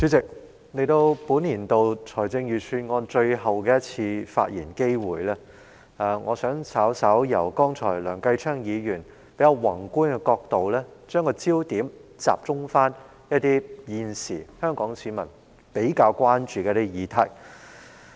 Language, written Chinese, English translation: Cantonese, 主席，藉着這個就本年度財政預算案作最後一次發言的機會，我想把焦點由梁繼昌議員剛才發言的較宏觀角度，稍為轉移至集中討論香港市民現時比較關注的議題。, Chairman this is the last chance for me to speak on the Budget this year and I would like to take this opportunity to shift the focus slightly from a more macro perspective as reflected in the speech made just now by Mr Kenneth LEUNG to a focused discussion on issues that are currently of greater concern to the people of Hong Kong